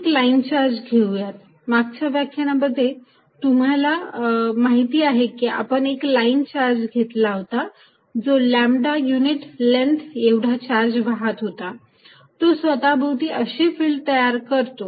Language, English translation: Marathi, Let us look at a line charge, you know the previous lectures, we did a line charge of carrying a lambda per unit length and what we saw is that, it creates a field like this around it